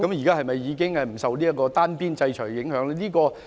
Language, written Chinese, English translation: Cantonese, 他們現在是否已不受單邊制裁的影響？, Is it that they are no longer affected by the unilaterally imposed sanctions?